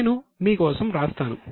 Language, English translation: Telugu, I will write it down for you